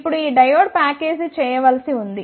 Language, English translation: Telugu, Now this diode is to be packaged